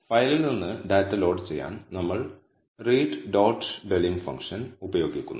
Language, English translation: Malayalam, To load the data from the file, we use the function read dot delim